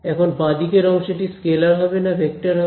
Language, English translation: Bengali, Is this expression over here a scalar or a vector